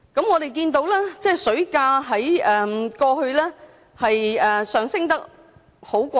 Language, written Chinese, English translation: Cantonese, 我們看到水價在過去上升得很快。, We can see that the water price has been rising very rapidly